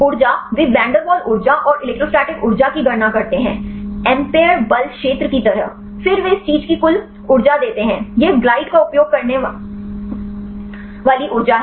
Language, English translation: Hindi, Energy they calculate the van der Waals energy and the electrostatic energy like the ampere force field, then they give the total energy of this thing; this the energy using the glide